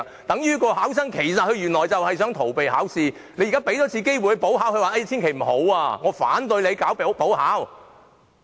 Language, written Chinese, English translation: Cantonese, 等於上述考生原來就是想逃避考試，即使你現在給他一次機會補考，他也極力拒絕，反對進行補考。, Just like the group of students mentioned above as their real aim is to avoid taking the examination although a chance is now given for them to take a make - up examination they will only try in every way to reject the idea and object to the proposal